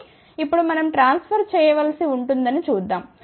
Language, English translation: Telugu, So, now let us see we have to transfer